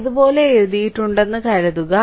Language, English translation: Malayalam, So, suppose I have written like this